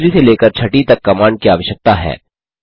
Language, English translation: Hindi, The commands from third to sixth are required